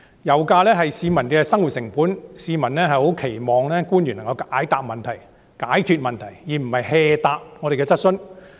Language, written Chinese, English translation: Cantonese, 油價是市民的生活成本，市民十分期望官員能夠解決他們的問題，而不是敷衍地回答我們的質詢。, Oil price is a living cost to the people . People earnestly expect that public officers can resolve their problems rather than answering our questions perfunctorily